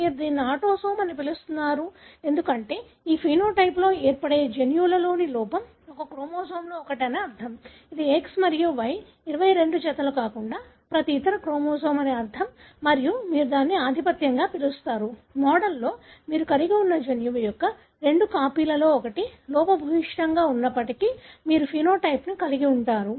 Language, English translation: Telugu, You call it as autosome because you assume the defect in a gene that results in this phenotype is present in one of the chromosome that is autosome meaning every other chromosome other than X and Y, the 22 pairs and you call it as dominant because you would, in the model you would anticipate even if one of the two copies of the gene that you have is defective, you would have the phenotype